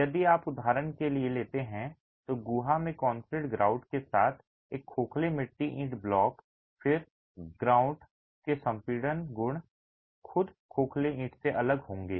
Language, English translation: Hindi, If you take for example a hollow clay brick block with concrete grout in the cavity then the compression properties of the grout will be different from that of the hollow brick itself